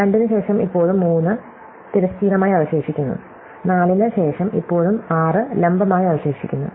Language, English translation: Malayalam, So, after 2 there is still 3 left horizontally; after 4 there is still 6 left vertically